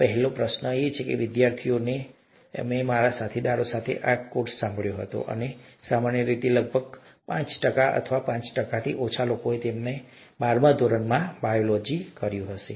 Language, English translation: Gujarati, ” This is the first question I ask to students, when whenever I handled this course with my colleagues, and typically about, may be about five percent, or less than five percent would have done biology in their twelfth standard